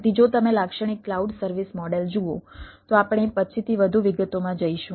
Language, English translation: Gujarati, so if you look at the typical cloud service model we will go into more details, ah, subsequently